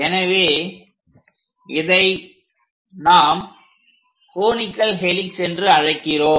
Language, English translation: Tamil, So, this is what we call conical helix